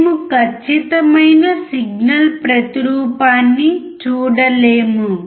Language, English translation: Telugu, We cannot see exact replication of the signal